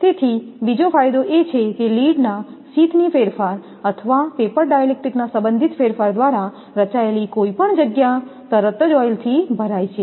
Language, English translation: Gujarati, So, another advantage is that any space formed by the distortion of lead sheath or by relative movement of paper dielectric is immediately filled with oil